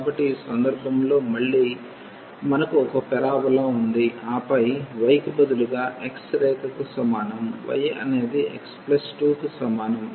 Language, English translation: Telugu, So, in this case again we have one parabola and then the line instead of y is equal to x we have y is equal to x plus 2